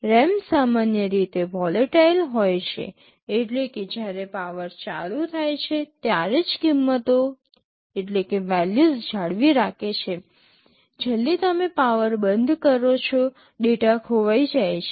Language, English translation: Gujarati, RAM are typically volatile, volatile means they retain the values only during the time the power is switched on, as soon as you switch off the power the data gets lost